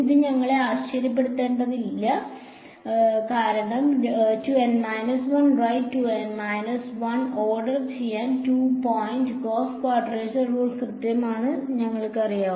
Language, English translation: Malayalam, This should not surprise us because, we know that 2 point Gauss quadrature rule is accurate to order 2 N minus 1 right 2 N minus 1